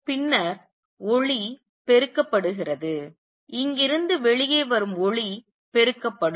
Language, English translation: Tamil, Then the light gets amplified light which comes out of here or here would be amplified